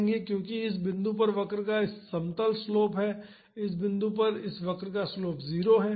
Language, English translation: Hindi, Because, at this point this curve has a flat slope, the slope of this curve at this point is 0